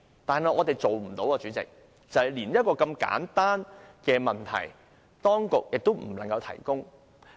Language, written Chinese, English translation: Cantonese, 但是，連我們一個如此簡單的問題，當局亦無法提供資料。, However the authorities have failed to even provide us with the information in response to our simple question